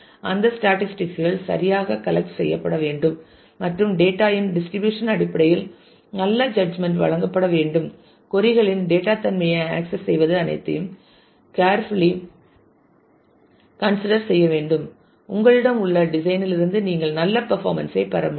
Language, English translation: Tamil, And for that statistics must be rightly collected and good judgment in terms of the distribution of the data, access of the data nature of queries all these need to be considered carefully so, that you can really get good performance from the design that you have